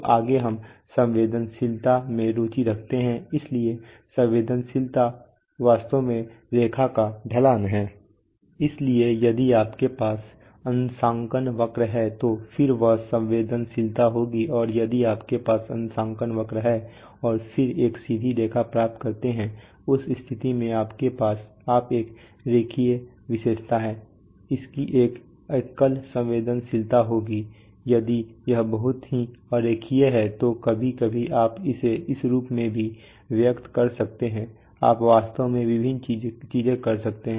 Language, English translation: Hindi, So next we are interested in sensitivity, so sensitivity is actually the slope of the line so if you have a calibration curve and then so that that will be the sensitivity and if you have a calibration curve and then get a straight line, in case you have a linear characteristic it will have one single sensitivity if it is very nonlinear then sometimes you may also express it as, so you can take do actually, do various things you can express say let us say three sensitivity figures